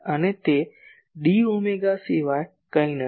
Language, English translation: Gujarati, And that is nothing but d omega